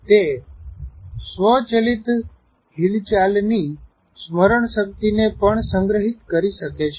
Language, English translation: Gujarati, It may also store the memory of automated movement